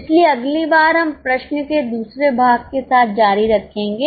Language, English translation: Hindi, So, next time we will continue with the second part of the question